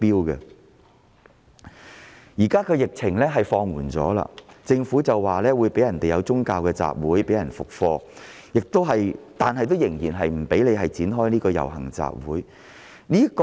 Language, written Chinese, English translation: Cantonese, 現時疫情已經放緩，政府會安排讓市民恢復進行宗教集會、復課，但依然不許展開遊行集會活動。, As the epidemic has begun to ease now the Government will make arrangements for the resumption of religious gatherings and classes but the holding of public processions and assemblies will still not be allowed